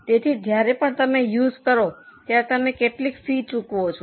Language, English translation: Gujarati, So, every time you use you have to pay some fee